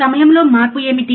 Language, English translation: Telugu, What is change in the time